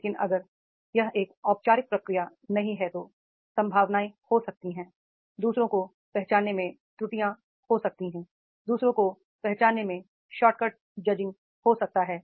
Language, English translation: Hindi, But if it is not a formal procedure then there might be chances, there might be errors in judging others, shortcuts in judging others, the perception